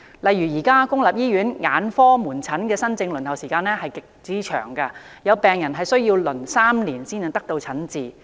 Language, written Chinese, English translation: Cantonese, 例如，現時公立醫院眼科門診新症的輪候時間極長，有病人需輪候3年才獲診治。, At present the waiting time of new cases for outpatient ophthalmology services at public hospitals is very long and some patients need to wait three years before receiving treatment